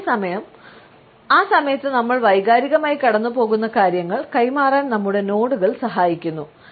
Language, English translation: Malayalam, At the same time our nods help us to pass on what we are emotionally going through at that time